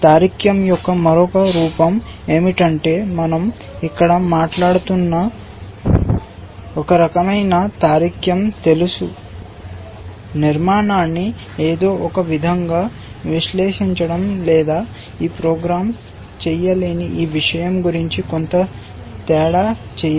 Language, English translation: Telugu, The other form of reasoning is that kind of reasoning that we are talking about here know, analyzing the structure in some way or making some difference about this thing which this program is not able to do